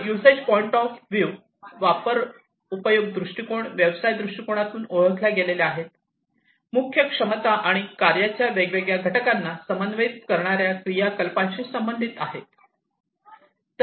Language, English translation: Marathi, So, usage viewpoints are related with the key capabilities that are identified in the business viewpoint and the activities that coordinate the different units of work